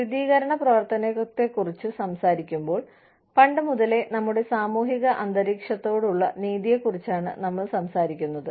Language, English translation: Malayalam, When we talk about affirmative action, we are talking about, fairness to our social environment, from time immemorial